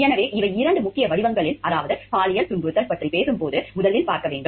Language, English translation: Tamil, So, these are the two main forms, means first one talks of see when we talking of sexual harassment